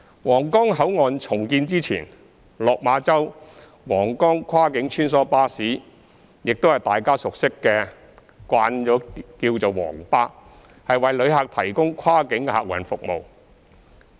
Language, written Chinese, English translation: Cantonese, 皇崗口岸重建前，落馬洲—皇崗跨境穿梭巴士，即大家所熟悉的"皇巴"，為旅客提供跨境客運服務。, Before the redevelopment of Huanggang Port the Lok Ma Chau―Huanggang Cross - boundary Shuttle Bus Service the Yellow Bus service with which people are familiar provides visitors with cross - boundary passenger transport services